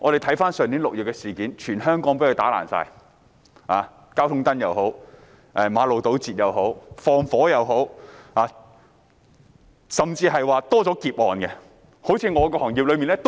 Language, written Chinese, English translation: Cantonese, 回顧去年6月的事件，當時全香港被破壞，包括破壞交通燈、堵塞馬路、放火，甚至連劫案也增加了。, Let us look back on the incidents in June last year . At that time a wave of destruction swept the entire territory of Hong Kong including damaging traffic lights road blockage and acts of arson and even a rise in robbery cases